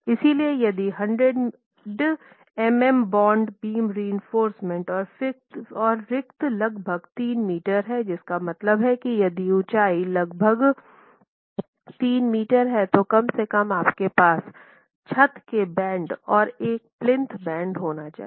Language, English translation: Hindi, So, if you give 100 millimeter bond beam reinforcement, then the spacing is about 3 meters, which means you must at least have a, if your interstory height is about 3 meters, you must at least have a roof band and a plinth band